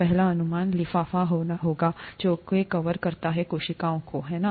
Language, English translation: Hindi, The first guess would be the envelope that covers the cells, right